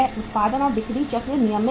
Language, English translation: Hindi, Production and sales cycle is uh regular